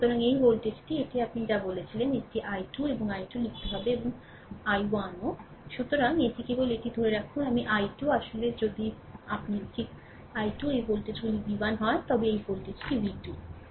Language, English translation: Bengali, So, this this voltage this your what you call that i 2 and i 3 we have to write and i 1 also So, this ah this just hold on so, this i 2 actually if you right i 2 this voltages is v 1 this voltage is v 2